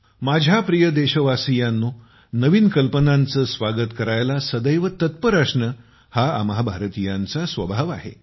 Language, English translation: Marathi, My dear countrymen, it is the nature of us Indians to be always ready to welcome new ideas